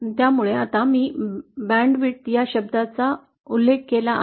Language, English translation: Marathi, So now that I mention the term band width let me define what it is